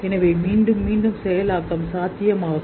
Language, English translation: Tamil, So there is a possible recurrent processing